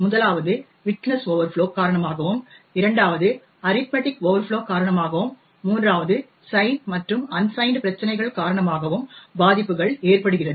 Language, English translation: Tamil, The first is due to widthness overflow, second is due to arithmetic overflow, while the third is due to sign and unsigned problems